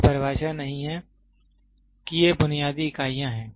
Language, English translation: Hindi, It is not definitions these are basic units